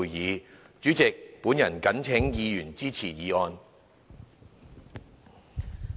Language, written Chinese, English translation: Cantonese, 代理主席，本人謹請議員支持議案。, Deputy President I urge Members to support the motion